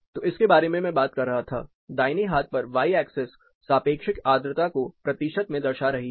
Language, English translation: Hindi, That is what I was talking about the right hand y axis here it is a relative humidity in percentage